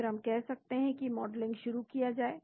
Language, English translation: Hindi, They can say start modeling